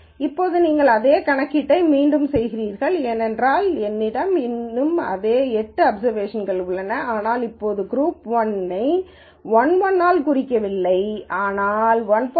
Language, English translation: Tamil, Now, you redo the same computation because I still have the same eight observations but now group 1 is represented not by 1 1, but by 1